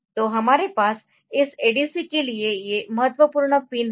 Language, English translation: Hindi, So, these are the important pins that we have for this ADC